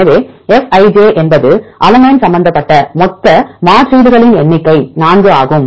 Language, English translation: Tamil, So, Fij is the total number of substitutions involving alanine that is 4 right